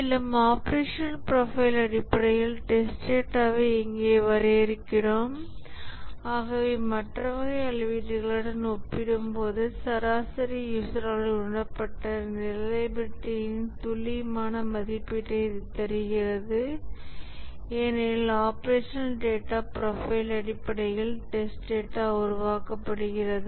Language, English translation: Tamil, And here we define the test data based on the operational profile and therefore it gives an accurate estimation of the reliability as perceived by the average user compared to the other type of measurement because the test data is generated based on the operational profile